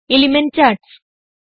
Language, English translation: Malayalam, Different Element charts